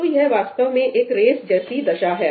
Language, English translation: Hindi, So, this is essentially a race condition